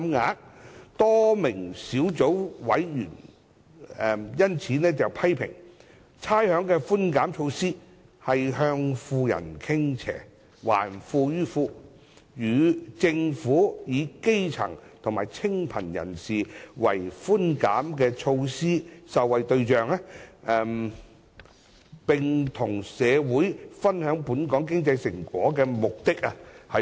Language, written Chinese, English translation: Cantonese, 因此，多名小組委員批評差餉寬減措施向富人傾斜、"還富於富"，違背政府以基層和清貧人士為寬減措施受惠對象及與社會分享本港經濟成果的目的。, Therefore a number of Subcommittee members have criticized that the rates concession measure is lopsided to the rich and returning wealth to the rich running counter to the Governments objectives of targeting the concessionary measures at the grass roots and the needy and sharing the fruits of Hong Kongs economic success with the community